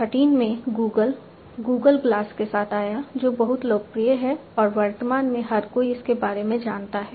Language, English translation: Hindi, And, in 2013 Google came up with the Google glass, which is very popular and everybody knows about it at present